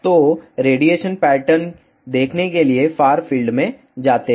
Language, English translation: Hindi, So, two see the radiation pattern go to far field